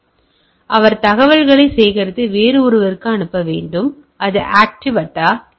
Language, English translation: Tamil, So, they has to gather on gather information and pass it to somebody else and that goes for a active attack